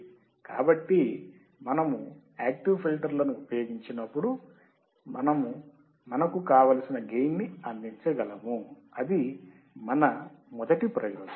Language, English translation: Telugu, So, we can use the active filter, and we can provide the gain, that is the advantage number one